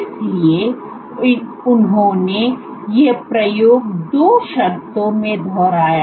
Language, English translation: Hindi, So, he repeated these experiment 2 conditions